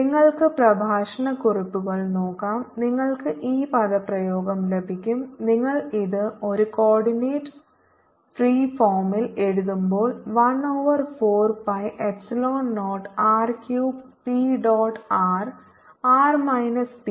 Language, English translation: Malayalam, and when you write it in a coordinate free form, you get the same form like one over four pi epsilon naught r cube three p dot r r minus p